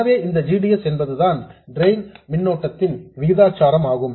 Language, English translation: Tamil, So the GDS itself is proportional to the drain current